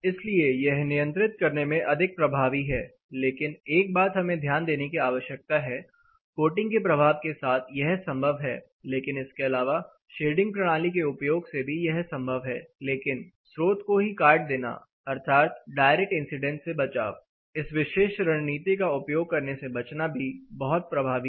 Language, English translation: Hindi, So, this is more effective in controlling, but one thing we need to note with the effect of coating it is possible, but apart from this by the use of shading system also, but cutting down the source itself that is direct incidence by avoiding using this particular strategy it is also much effective